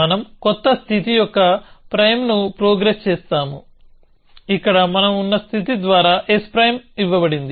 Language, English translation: Telugu, So, we progress new state s prime where, s prime is given by the given state that we are in